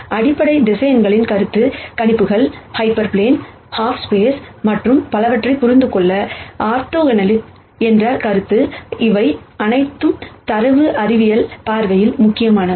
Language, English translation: Tamil, The notion of basis vectors, the notion of orthogonality to understand concepts such as projections, hyper planes, half spaces and so on, which all are critical from a data science viewpoint